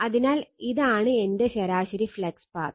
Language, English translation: Malayalam, So, this is my mean flux path